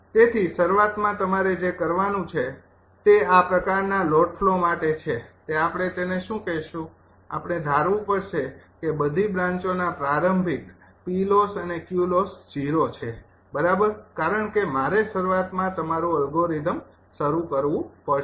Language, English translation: Gujarati, so initially what you have to do is for this kind of load flow that we have to your what you call, we have to assume that initial p loss and q loss of all the branches are zero, right, because i have, initially you have to start the algorithm